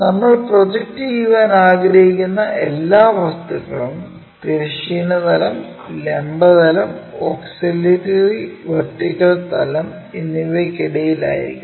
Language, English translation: Malayalam, So, the any object whatever the projection we would like to really consider that has to be in between vertical plane, horizontal plane and auxiliary plane or auxiliary vertical plane